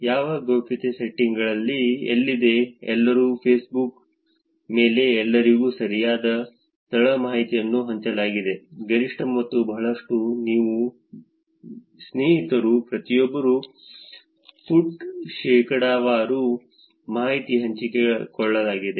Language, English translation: Kannada, what privacy settings has been set up is for everyone, right, location information is shared maximum to everyone on Facebook, and if you put everyone in friends that is a lot of percentage of responses which where the information is been shared